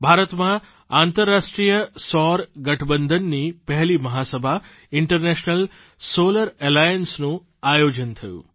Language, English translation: Gujarati, The first General Assembly of the International Solar Alliance was held in India